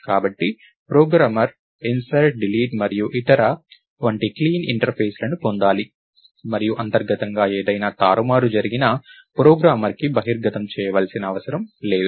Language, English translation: Telugu, So, the programmer should get clean interfaces like insert, delete and so, on, and whatever manipulation is happening internally need not be exposed to the programmer